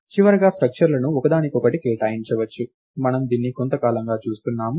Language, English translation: Telugu, structures can be assigned to each other, we have been seeing this for a while now